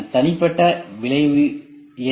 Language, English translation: Tamil, What is the individual effect